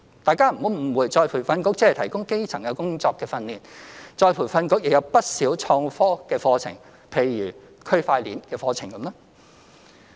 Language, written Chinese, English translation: Cantonese, 大家不要誤會再培訓局只提供基層工作的訓練，再培訓局亦有不少創科的課程，譬如區塊鏈的課程。, Please do not be mistaken that ERB provides training only for elementary jobs . ERB also offers many courses on innovation and technology such as courses on blockchain